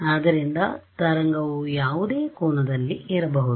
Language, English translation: Kannada, So, wave can come at any angle